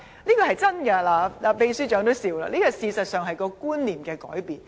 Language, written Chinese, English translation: Cantonese, 這是千真萬確的，秘書長也笑了，事實上這是觀念的改變。, That is really what they told me . The Assistant Secretary General is smiling . In fact it is a change in concept